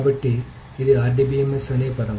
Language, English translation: Telugu, So this is the RDBMS, that is the term